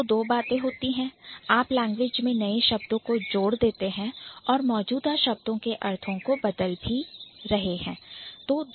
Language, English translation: Hindi, Either you are adding new words or you are changing the meaning of the already existing words